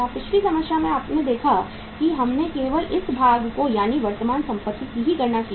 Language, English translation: Hindi, In the previous problem you have seen that we have only calculated the this part that is the current assets part